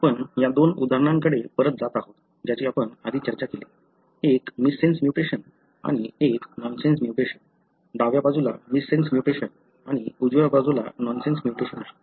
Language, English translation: Marathi, So, we are going back to these two examples that we discussed earlier, one missense mutation and one nonsense mutation; the missense mutation on the left side and the nonsense mutation on the right side